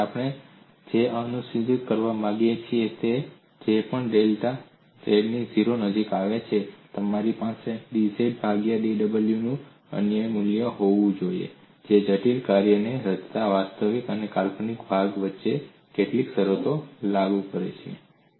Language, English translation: Gujarati, Now what we want to ensure is whichever way delta z approaches 0I, must have a unique value of dw by dz which enforces certain conditions, between the real and imaginary part forming the complex function